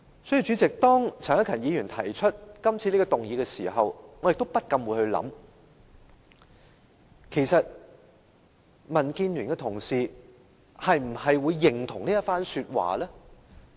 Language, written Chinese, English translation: Cantonese, 所以，當陳克勤議員提出今次這項議案時，我不禁想其實民建聯的同事會否認同這一番說話？, Therefore when Mr CHAN Hak - kan moved the motion in question I cannot help but wonder if fellow colleagues from the Democratic Alliance for the Betterment and Progress of Hong Kong DAB would agree with the remarks made by Dr Junius HO